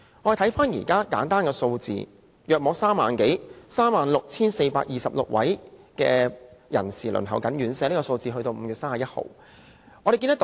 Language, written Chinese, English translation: Cantonese, 我們且看看一些簡單數字，截止5月31日，大概有 36,426 位人士輪候院舍。, We shall look at some simple numbers . As at 31 May about 36 426 people are waiting for places in residential care homes for the elderly RCHEs